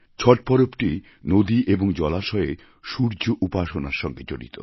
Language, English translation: Bengali, Chhath festival is associated with the worship of the sun, rivers and ponds